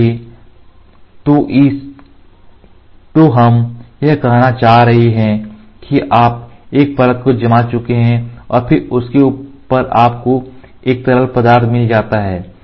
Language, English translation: Hindi, So, what we are trying to say you had one layer cured and then on top of it you had a liquid which is there